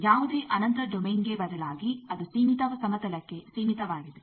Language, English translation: Kannada, That instead of any infinite domain it is confined to a finite plane